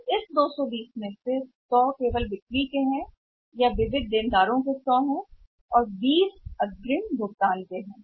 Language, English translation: Hindi, So, out of this thought 220, 100 is only sales or sundry debtors 100 is out of sundry debtors and 20 are advance deposit